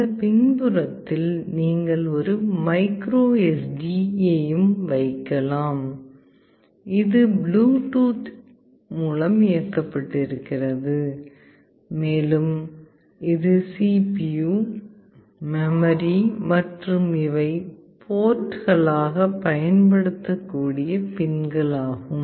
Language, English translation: Tamil, You can also put a micro SD in this back side, it is also Bluetooth enabled, and this is the CPU, the memory, and these are the pins that can be used as ports